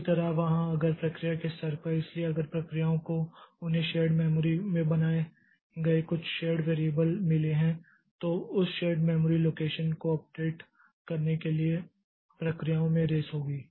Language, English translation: Hindi, Similarly, if at the process level, so if processes they have got some shared variable created in the shared memory, then there will be rest across the processes to update that shared memory location